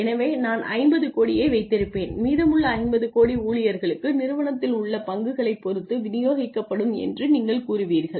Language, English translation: Tamil, So, you say I will keep 50 crores and the rest of the 50 crores will be distributed to the employees depending on their stake in the organization